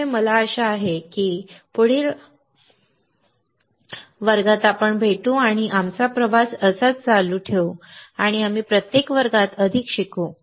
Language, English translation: Marathi, So, I hope I see you in the next class and we will keep our journey on and we learn more with every class